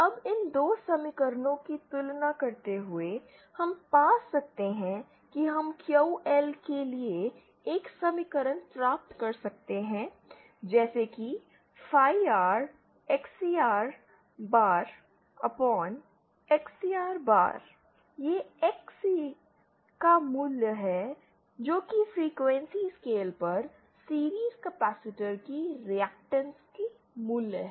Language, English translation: Hindi, Now comparing these 2 equations, we can find, we can obtain an equation for QL as phi R XCR bar upon, XCR bar this is the value of XC that is the capacitance that is the value of reactance of the series capacitance at the resonant frequency